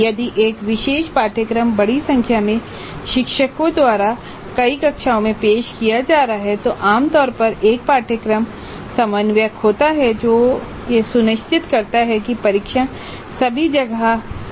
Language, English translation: Hindi, And if a particular course is being offered by a larger number of faculty to multiple sections, then usually there is a course coordinator who ensures that the tests are uniform across all the sections